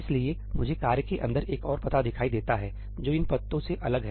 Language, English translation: Hindi, So, I see another address over here inside the task, which is different from these addresses